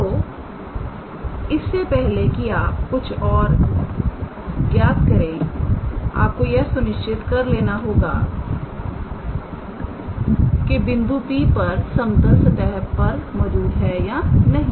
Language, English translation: Hindi, So, before you calculate anything you also have to make sure the given point P lies on the level surface or not